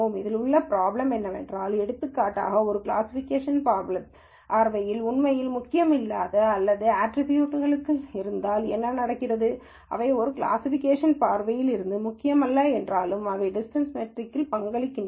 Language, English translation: Tamil, The problem with this is that, if for example, there are a whole lot of attributes which actually are not at all important from a classification viewpoint, then what happens is, though they are not important from a classification viewpoint, they contribute in the distance measure